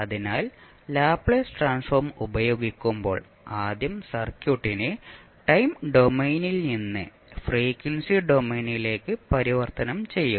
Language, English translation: Malayalam, So, when you use the Laplace transform you will first convert the circuit from time domain to frequency domain